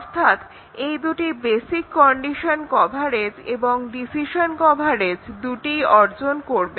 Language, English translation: Bengali, These two will achieve both basic condition coverage and decision coverage